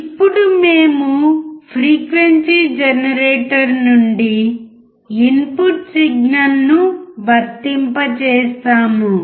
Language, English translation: Telugu, Now we apply the input signal from the frequency generator